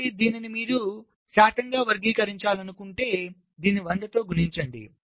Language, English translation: Telugu, so if you want to express it as a percentage, multiply this by hundred